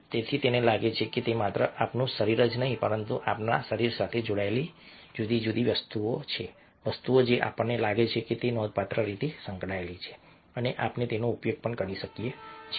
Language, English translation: Gujarati, so he find that it is not only our body but the different things that are attached to our body which we feel are significantly a associated, and we start using them as well